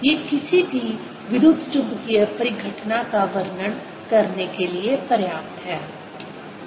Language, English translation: Hindi, these are sufficient to describe any electromagnetic phenomena